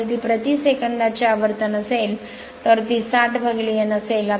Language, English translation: Marathi, If it is revolution per second it will be N by 60 then